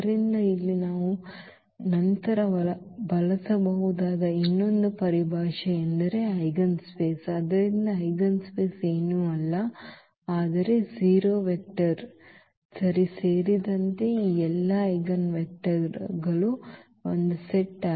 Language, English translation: Kannada, So, another terminology here which we may use later that is eigenspace; so, eigenspace is nothing, but the set of all these eigenvectors including the 0 vector ok